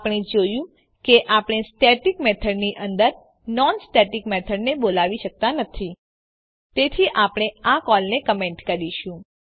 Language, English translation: Gujarati, We see that we cannot call a non static method inside the static method So we will comment this call